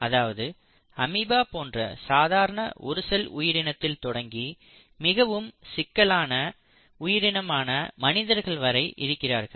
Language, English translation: Tamil, You have a simple, single celled organism like amoeba or you have a much more complex organism like human beings